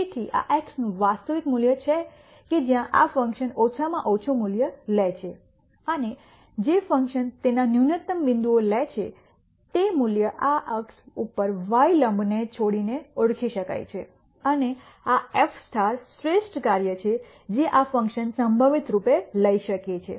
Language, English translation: Gujarati, So, this is actual value of x at which this function takes a minimum value and the value that the function takes at its minimum point can be identified by dropping this perpendicular onto the y axis and this f star is the best value this function could possibly take